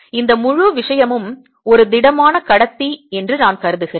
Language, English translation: Tamil, let me assume that this whole thing was a solid conductor